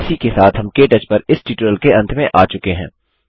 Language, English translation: Hindi, This brings us to the end of this tutorial on KTouch